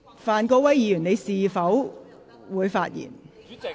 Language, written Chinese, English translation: Cantonese, 范國威議員，你是否想發言？, Mr Gary FAN do you wish to speak?